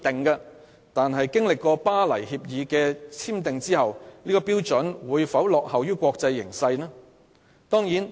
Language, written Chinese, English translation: Cantonese, 然而，《巴黎協定》簽訂後，本港的標準會否落後於國際標準？, However with the signing of the Paris Agreement do Hong Kongs standards lag behind those of the international community?